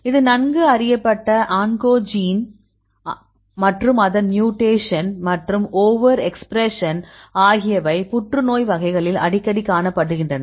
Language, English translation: Tamil, This is a well known oncogene, and its mutations and over expression are frequently observed in many of the cancer types; this is very important